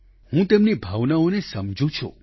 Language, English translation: Gujarati, I understand his sentiments